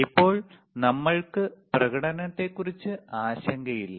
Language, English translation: Malayalam, Right now, because we are not worried about the performance,